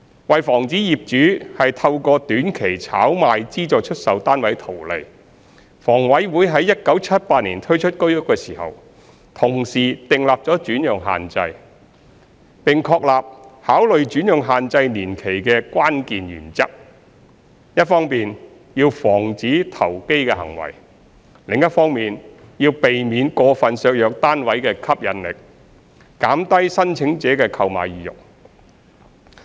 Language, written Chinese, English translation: Cantonese, 為防止業主透過短期炒賣資助出售單位圖利，房委會在1978年推出居屋時，同時訂立轉讓限制，並確立考慮轉讓限制年期的關鍵原則：一方面要防止投機行為，另一方面要避免過分削弱單位的吸引力，減低申請者的購買意欲。, In order to prevent SSF owners from speculating on SSFs to make gains in the short term HA also imposed alienation restrictions of HOS upon its introduction in 1978 and established the key principles for considering the duration of the restriction period prevent speculative activities on the one hand and avoid unduly undermining the attractiveness of the flats and lowering the applicants desire to purchase on the other hand